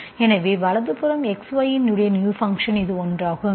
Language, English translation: Tamil, So right hand side is a new function of X, Y, this is one